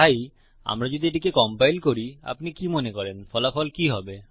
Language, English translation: Bengali, So if we compile this what do you think the result is gonna be